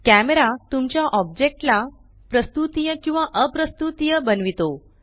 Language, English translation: Marathi, Camera makes your object render able or non renderable